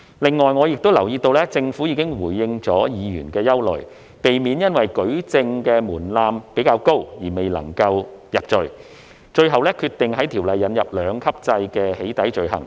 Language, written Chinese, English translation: Cantonese, 此外，我亦留意到政府已回應議員的憂慮，避免因舉證的門檻較高而未能夠入罪，最後決定在《條例草案》引入兩級制的"起底"罪行。, In addition I also note that the Government has addressed Members concern by finally deciding to introduce a two - tier structure of doxxing offences in the Bill so as to avoid failures of conviction due to a rather high evidential threshold